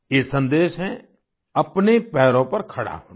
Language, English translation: Hindi, This message is 'to stand on one's own feet'